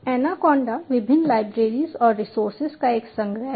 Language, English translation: Hindi, anaconda is a collection of various libraries in resources